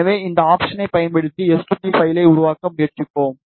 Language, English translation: Tamil, So, we will try to make the s2p file using this option